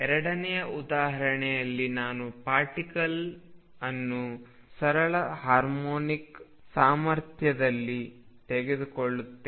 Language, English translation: Kannada, In the second example I will take the particle in a simple harmonic potential